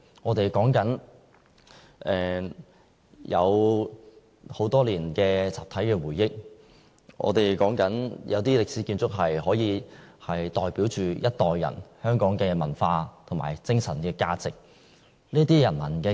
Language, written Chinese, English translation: Cantonese, 我們說的是很多年的集體回憶、一些歷史建築可以代表着一代人的香港文化和精神價值。, Some historic buildings embrace our collective memory and represent the cultural and spiritual values of a generation of Hong Kong people